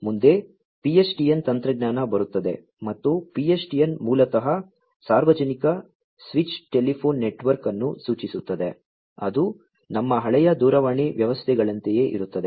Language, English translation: Kannada, Next, comes the PSTN technology and PSTN basically stands for Public Switched Telephone Network, which is like our old telephone systems